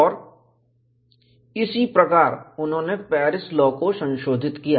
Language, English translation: Hindi, And this is how they modified the Paris law